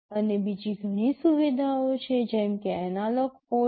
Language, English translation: Gujarati, And there are many other facilities like analog ports